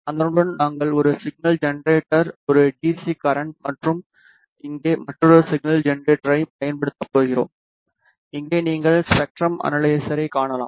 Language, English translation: Tamil, Along with that we are going to use a signal generator, A DC power supply and here is another signal generator and here you can see the spectrum analyzer